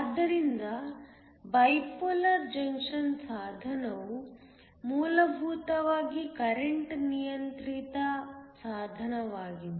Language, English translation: Kannada, So, A bipolar junction device is essentially a current controlled device